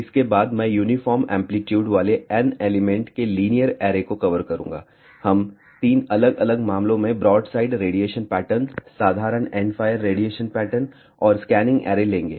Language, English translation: Hindi, After, that I will cover linear arrays of N elements with uniform amplitude, we will take 3 different cases broadside radiation, pattern ordinary endfire radiation pattern and scanning array